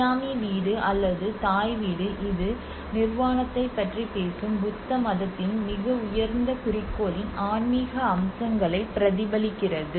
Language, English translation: Tamil, Whereas the Siamese house or the Thai house it reflects to the spiritual aspects of the highest goal you know of the Buddhism which is talking about the Nirvana